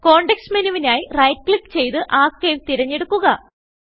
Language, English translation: Malayalam, Right click for the context menu and select Archive